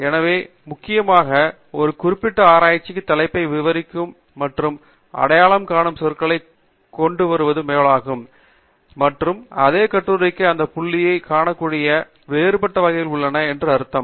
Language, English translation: Tamil, So, essentially, it is like coming up with words that would describe and identify a particular research paper; and, which means that there are variants that may be available that point to the same article